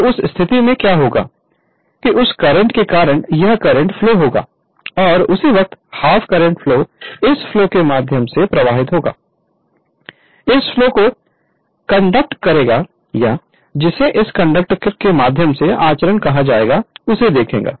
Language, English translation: Hindi, So, in the in that case what will happen; that because of that the current will flow this is the current I and immediately that half half half half half of the current will flow through this half of the current will flow this conduct[or] you are what will call conducting your through this conductor right